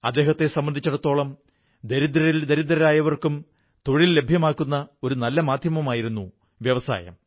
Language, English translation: Malayalam, According to him the industry was an effective medium by which jobs could be made available to the poorest of the poor and the poorer